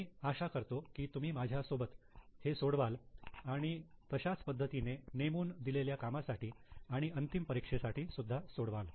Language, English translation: Marathi, So, I hope you solve it with me and similar way it will be for your assignments and final examination as well